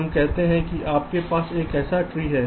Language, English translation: Hindi, suppose if i have a tree like this